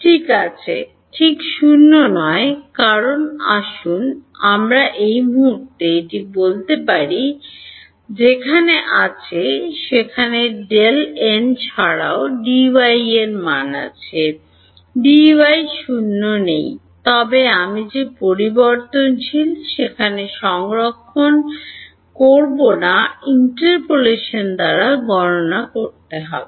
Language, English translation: Bengali, Well, not exactly 0 because let us say at this point where D x is there is also value of D y; D y is not 0 over there, but I am not storing that variable over there I will have to calculated by interpolation